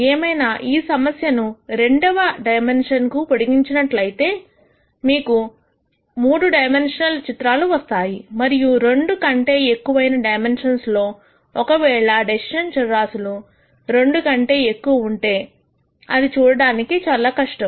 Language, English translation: Telugu, However, when you just extend this problem to two dimensions then you have to have 3 dimensional plots and in dimensions higher than 2, if the decision variables are more than 2 then it is di cult to visualize